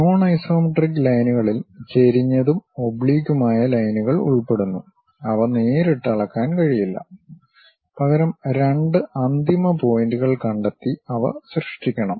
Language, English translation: Malayalam, Non isometric lines include inclined and oblique lines and cannot be measured directly; instead they must be created by locating two endpoints